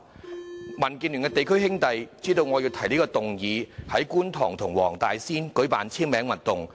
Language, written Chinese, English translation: Cantonese, 民主建港協進聯盟的地區"兄弟"知道我要提出這項議案後，在觀塘和黃大仙區舉辦簽名運動。, When brothers in the Democratic Alliance for the Betterment and Progress of Hong Kong learnt that I would propose this motion they started a signature campaign in Kwun Tong and Wong Tai Sin